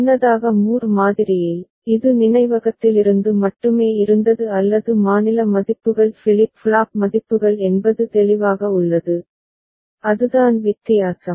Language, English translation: Tamil, Earlier in Moore model, it was only from the memory or the state values flip flop values is it clear, that is the difference